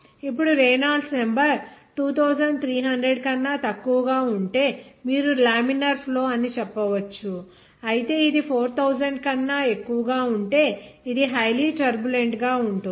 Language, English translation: Telugu, Now if Reynolds number is less than 2300 you can say that flow will be laminar whereas if it is greater than 4000